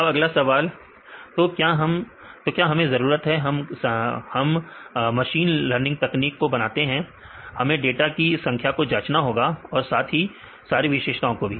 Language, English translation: Hindi, Now, the next question is; so, can we need when you make the machine learning techniques, we have to check the number of data as well as number of features